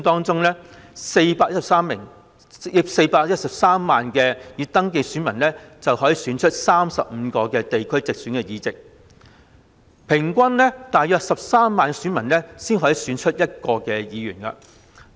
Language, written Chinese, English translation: Cantonese, 在地區直選中 ，413 萬名已登記選民可以選出35個地區直選的議席，即平均大約13萬名選民才可以選出1名議員。, In geographical constituency elections 4.13 million registered electors may return 35 geographical constituency seats ie . about 130 000 electors return one Member on average